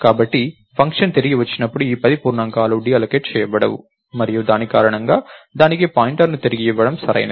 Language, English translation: Telugu, Similarly, here you did dynamic allocation, so these 10 integers are not going to be deallocated when the function returns and because of that its ok to return a pointer to that